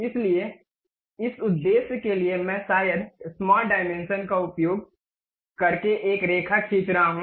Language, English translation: Hindi, So, for that purpose, I am drawing a line perhaps the using smart dimensions